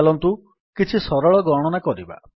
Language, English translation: Odia, Let us try some simple calculation